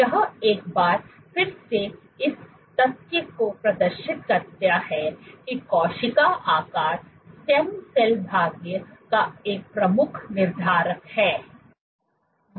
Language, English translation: Hindi, This once again demonstrates the fact that cell shape is a key determinant of stem cell fate